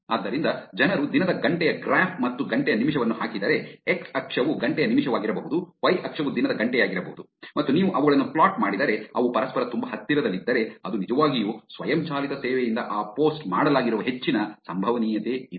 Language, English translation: Kannada, So, people do the graph of hour of the day and minute of the hour; x axis can be the minute of the hour, y axis can be the hour of the day and if you draw the plot, if they are very, very close to each other then there is a high probability that it is actually a automated service that is did this post